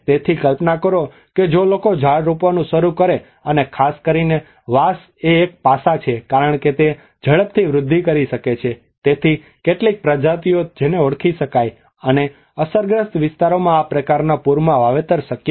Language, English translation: Gujarati, So imagine if people start planting the trees and especially bamboo is one aspect one because it can densely grow and as well as it was very quick in growing so there are some species one can identify, and plantation could be possible in this kind of flood affected areas